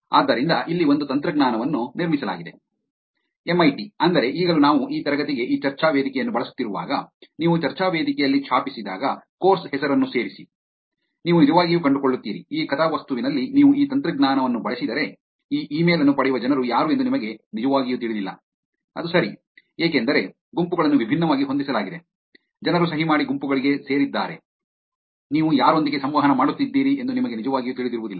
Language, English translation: Kannada, So here is one technology that was built at MIT, meaning even now when we are using this discussion forum for this class, when you type in the discussion forum, add the course name, you will actually find out in this plot, when if you use this technology, you do not really know who are the people who are getting this email, right, , because the groups are set up differently, people have been signed up into the groups, you really don’t get to know who you are interacting with